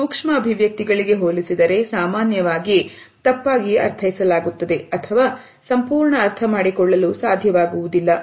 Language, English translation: Kannada, In comparison to that micro expressions are either often misinterpreted or missed altogether